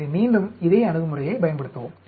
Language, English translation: Tamil, So, again use this same approach